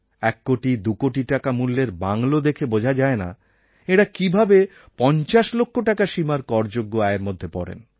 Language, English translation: Bengali, Just looking at their bungalows worth 1 or 2 crores, one wonders how they can be in a tax bracket of less than 50 lakhs